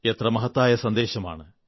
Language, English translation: Malayalam, What a fine, purposeful message